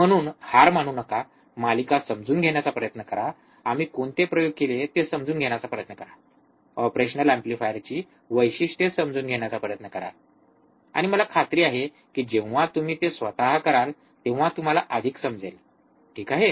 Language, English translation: Marathi, So, do not give up, try to understand the series, try to understand what experiments we have done, try to understand the characteristics of the operational amplifier, and I am sure that you will understand more when you do it by yourself, alright